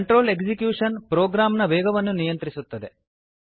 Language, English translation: Kannada, Control execution is controlling the flow of a program